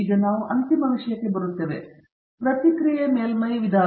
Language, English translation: Kannada, Now, we come into the final topic; Response Surface Methodology